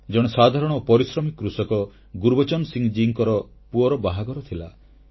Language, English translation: Odia, The son of this hard working farmer Gurbachan Singh ji was to be married